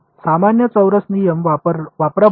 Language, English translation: Marathi, Use a quadrature rule in general right